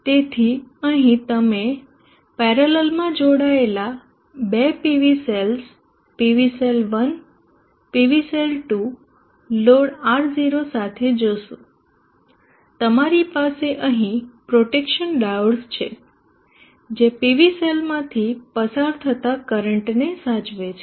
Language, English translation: Gujarati, So here you see two Pv cells Pv cell 1 Pv cell 2 connected in parallel along with the load or not you have the protective divots here which prevents current flow into the PV cell